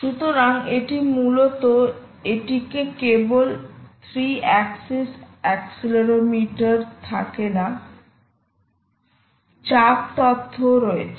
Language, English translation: Bengali, so this not only contains the three axis accelerometer inside, it also contains the pressure information